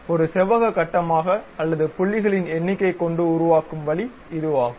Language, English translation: Tamil, Now, this is the way a rectangular grid or number of points one can really construct it